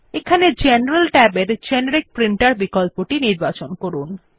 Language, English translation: Bengali, Here we select the Generic Printer option in General Tab